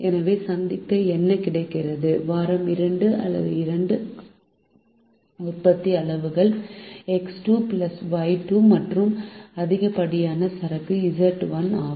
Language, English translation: Tamil, therefore, what is available to meet the demand of week two, or the two production quantities, x two plus y two, and the excess inventory that is carried, which is z one